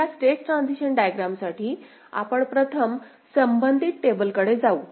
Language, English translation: Marathi, So, for that this state transition diagram, we’ll first move to a corresponding a tabular form ok